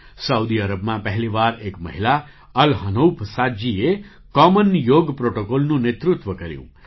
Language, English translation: Gujarati, For the first time in Saudi Arabia, a woman, Al Hanouf Saad ji, led the common yoga protocol